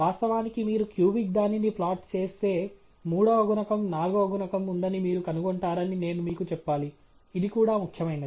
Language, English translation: Telugu, In fact, if you plot the cubic one, I should tell you that you will find the a three that is a third coefficient, the forth coefficient also being significant